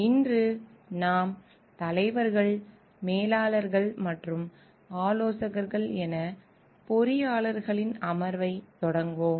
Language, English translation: Tamil, Today we will continue with the session of Engineers as Leaders, Managers and Consultants